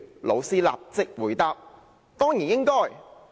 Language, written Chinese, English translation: Cantonese, '老師立即回答：'當然應該。, my teacher answered immediately Yes of course